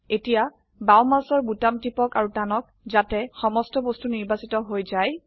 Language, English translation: Assamese, Now press the left mouse button and drag so that all the objects are selected